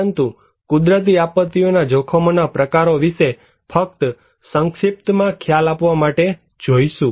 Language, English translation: Gujarati, But just to give you a brief idea about the types of hazards in natural disasters